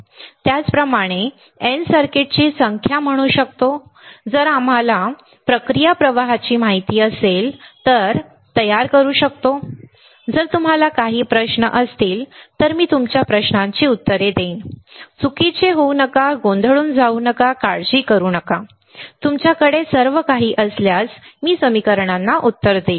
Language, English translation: Marathi, Similarly, we can say N number of circuits, we can fabricate if we know the process flow all right, if you have any question, I will answer your questions, do not go wrong get confused; do not worry, I will answer equations if you have any all right